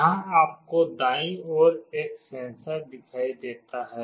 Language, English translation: Hindi, Here you see a sensor on the right side